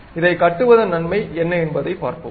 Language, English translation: Tamil, We will see what is the advantage in constructing this